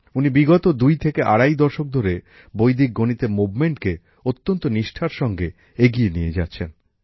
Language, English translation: Bengali, And for the last twoandahalf decades, he has been taking this movement of Vedic mathematics forward with great dedication